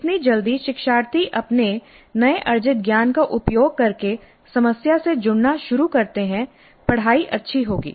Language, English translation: Hindi, The more quickly learners begin to engage with the problem using their newly acquired knowledge the better will be the learning